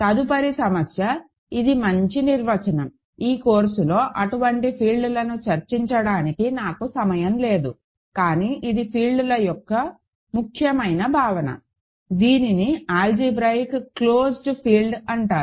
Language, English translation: Telugu, So, next problem; so, I am going to nice definition I did not have time to discuss such fields in this course, but this is an important notion of fields, it is called an algebraically closed field